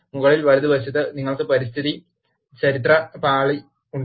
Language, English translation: Malayalam, To the top right, you have Environmental History pane